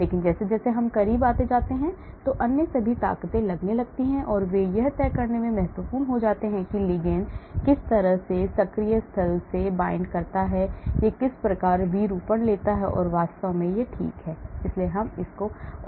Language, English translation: Hindi, But as I come closer and closer all other forces start taking place and they become important in judging how the ligand binds into the active site, what type of conformation it takes and so on actually, okay so we will continue more